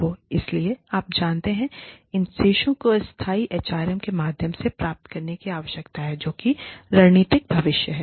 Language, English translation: Hindi, So, you know, these balances need to be achieved, through sustainable HRM, which is the future of strategic HRM